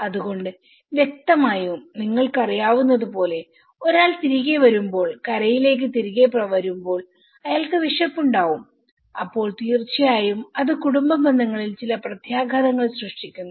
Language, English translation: Malayalam, So obviously, when a person returns as I you know, comes back from the shore and to the shore and he is hungry and obviously, it has created certain impacts in the family relationships